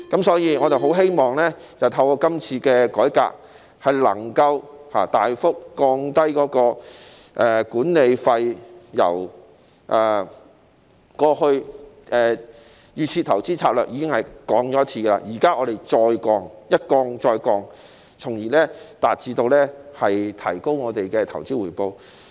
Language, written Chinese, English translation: Cantonese, 所以，我很希望透過今次的改革，能夠大幅降低管理費，雖然在推出預設投資策略後已經降低，但我們現在要求再次降低，一降再降，從而提高投資回報。, Therefore I very much hope that through this reform the management fees can be substantially reduced . While the fees had been reduced after the introduction of the default investment strategy we are now calling for a reduction again―another further reduction―so as to boost investment returns